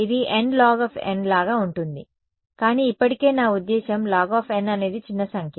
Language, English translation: Telugu, n or n log n it is more like n log n ok, but still I mean log n is a small number